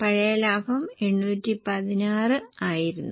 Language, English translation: Malayalam, The old profit was 816